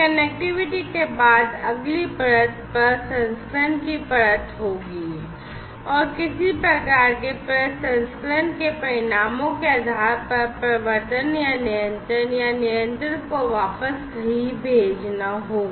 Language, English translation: Hindi, And, after connectivity, the next layer will be the layer of processing, and based on the results of processing some kind of actuation or control or feeding back the control back to somewhere will have to be done